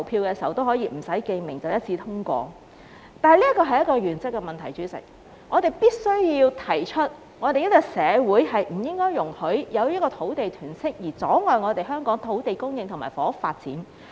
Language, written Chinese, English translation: Cantonese, 但是，代理主席，這是原則問題，我們必須提出香港社會不應容許因土地囤積而阻礙香港土地供應和房屋發展。, However Deputy President this is a matter of principle . We must voice out that in the Hong Kong community no land hoarding should be allowed to stand in the way of land supply and housing development